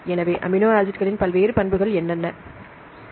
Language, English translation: Tamil, So, what are the various properties of amino acids